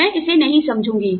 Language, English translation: Hindi, I will not understand it